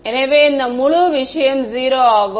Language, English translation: Tamil, So, this whole thing the whole sum was 0